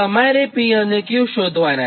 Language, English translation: Gujarati, now you have to find out p and q